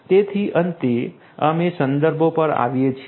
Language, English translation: Gujarati, So, finally, we come to the references